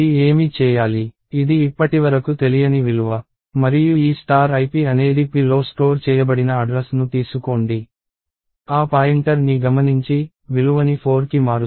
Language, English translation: Telugu, This is a hither to unknown value and this star ip is saying take the address stored in p, chase that pointer and initializes the value to or change the value to 4